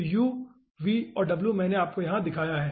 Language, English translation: Hindi, so uv and w i have shown you over here